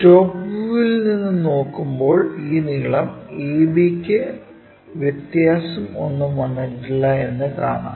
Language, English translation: Malayalam, When we are looking from top view this length hardly changed, this AB remains same